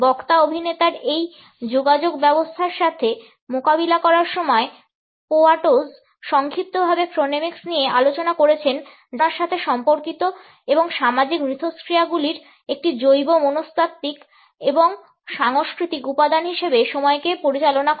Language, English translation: Bengali, In dealing with a communication system of the speaker actor, Poyatos briefly discussed the chronemics that concerned conceptions and the handling of time as a bio psychological and cultural element of social interactions